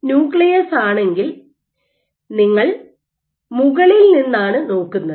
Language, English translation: Malayalam, Why because, if this is your nucleus you are probing from the top